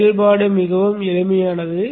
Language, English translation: Tamil, The operation is pretty simple